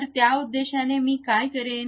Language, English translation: Marathi, So, for that purpose what I will do